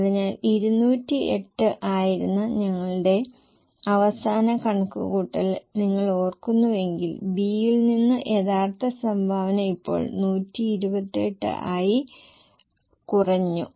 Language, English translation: Malayalam, So, the original contribution from B which was, if you remember our last calculation which was 208, now has come down only to 128